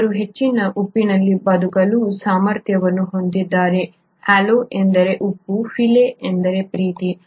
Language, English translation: Kannada, They have an ability to survive in high salt, halo means salt, phile means loving